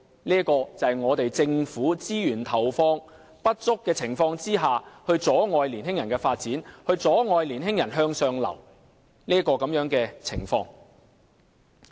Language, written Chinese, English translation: Cantonese, 這就是政府在投放資源不足的情況下，阻礙年輕人發展，阻礙年輕人向上流動的情況。, The inadequate funding of the Government has hindered the development of young people and their upward mobility